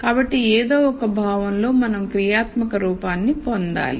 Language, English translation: Telugu, So, in some sense we have to get a functional form